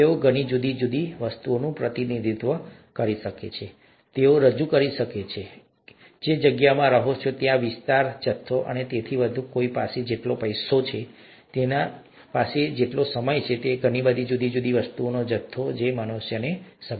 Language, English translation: Gujarati, They can represent many different things, they can represent, let’s say the space that you live in, the area, the volume and so on, the amount of money that one has, the amount of time that one has, the amounts of so many different things that are relevant to humans